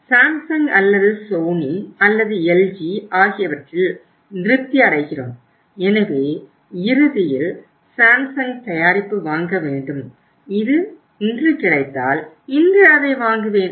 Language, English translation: Tamil, We are satisfied with the Samsung or Sony or LG so ultimately have to buy Samsung product, Samsung colour TV